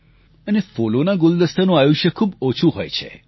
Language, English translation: Gujarati, And the life span of a bouquet is very short